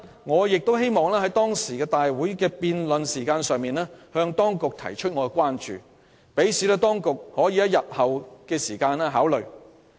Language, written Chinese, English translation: Cantonese, 我亦希望在辯論期間向當局提出我的關注，好讓當局可以在日後考慮。, I also wanted to raise my concerns during the debate for consideration by the departments concerned in the future